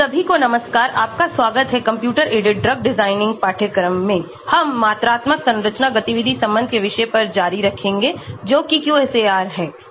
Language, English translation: Hindi, Hello, everyone, welcome to the course on computer aided drug, we will continue on the topic of quantitative structure activity relation that is QSAR